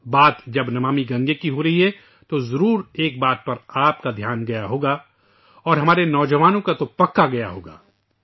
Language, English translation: Urdu, When Namami Gange is being referred to, one thing is certain to draw your attention…especially that of the youth